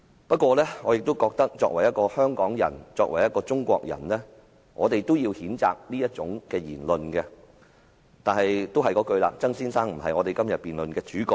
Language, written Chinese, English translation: Cantonese, 不過，我認為作為香港人、中國人，應該譴責這種言論，但曾先生並非今天這項辯論的主角。, However as a member of the Hong Kong public and as a Chinese we should condemn such speech although Mr TSANG is not the subject of this debate today